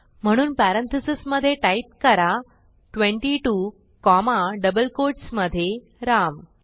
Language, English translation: Marathi, So within parentheses type 22 comma in double quotes Ram